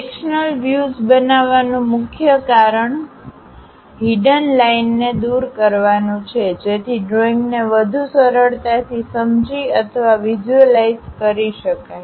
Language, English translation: Gujarati, The main reason for creating a sectional view is elimination of the hidden lines, so that a drawing can be more easily understood or visualized